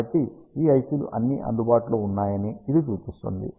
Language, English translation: Telugu, So, this indicates that all these ICs that are available